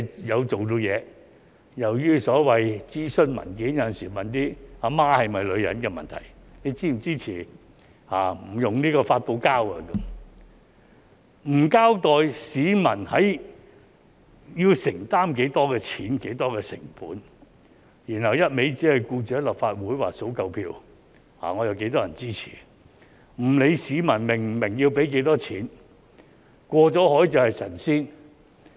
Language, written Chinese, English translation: Cantonese, 當局有時又在所謂諮詢文件問一些"阿媽是否女人"的問題——"你是否支持不使用發泡膠"，而不交代市民要承擔多少費用、多少成本，然後一味只關心在立法會數夠票，說"我有多少人支持"，不理會市民是否明白要付多少費用，"過了海便是神仙"。, The authorities sometimes raise questions with obvious answers in their so - called consultation documents such as do you support not using styrofoam? . without making clear the amount of charges and cost that the public need to bear . The authorities only cares about securing enough votes in the Legislative Council saying I have the support of a certain number of people regardless of whether the public understand how much they need to pay